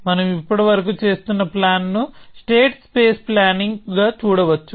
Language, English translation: Telugu, So, the planning that we have been doing so far can be seen as a state space planning